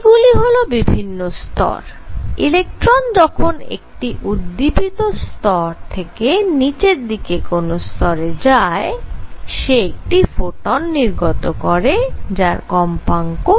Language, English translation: Bengali, So, these are the levels when an electron jumps from an excited energy level to lower one, it emits 1 photon of frequency nu